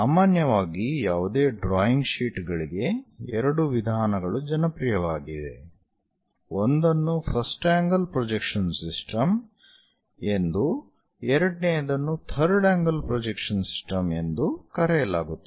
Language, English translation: Kannada, In general, for any drawing sheets two methods are popular, one is called first angle projection system, the second one is third angle projection system